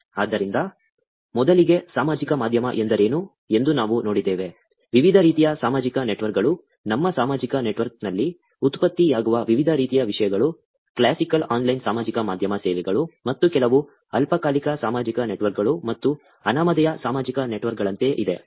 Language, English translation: Kannada, So, first, we saw what social media is; different types of social networks, different types of content that gets generated on our social network; classical online social media services, and then some, which are more like ephemeral social networks and anonymous social networks